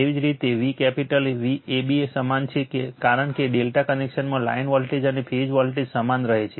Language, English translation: Gujarati, Similarly V capital AB same because your from a delta connection your line voltage and phase voltage remains same right